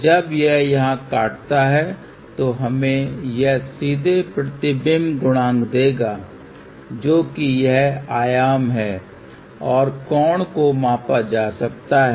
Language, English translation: Hindi, So, wherever it cuts here that will straightway give us the reflection coefficient value which is the amplitude and the angle can be measured